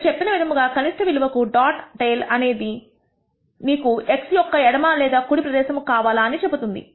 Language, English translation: Telugu, As I said the lower dot tail tells you whether you want the area to the left of x or to the right of x